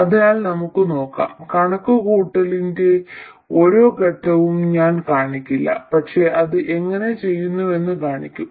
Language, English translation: Malayalam, I won't show every step of the calculation but show you how it is done